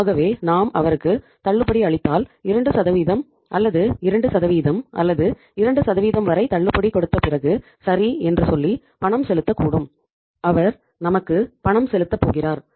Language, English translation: Tamil, So if we give him the discount so we can say okay after giving discount for 2% or by 2% or up to 2% he is going to make the payment to us